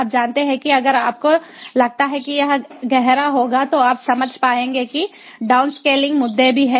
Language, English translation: Hindi, if you think it will be deep, you will be able to understand that downscaling issues are also there